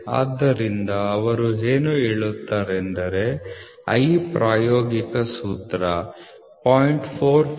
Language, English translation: Kannada, So, what they say is I is a is this is an empirical formula 0